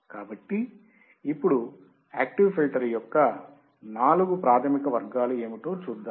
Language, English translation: Telugu, So, now, let us see what are the four basic categories of active filter